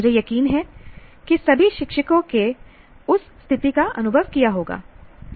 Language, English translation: Hindi, That is, I'm sure all teachers would have experienced that situation